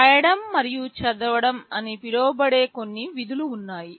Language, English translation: Telugu, There are some functions called write and read